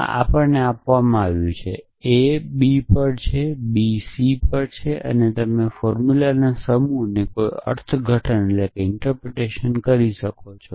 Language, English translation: Gujarati, So, this is given to us, a is on b, b is on c and you can off course do any interpretation of the set of formulas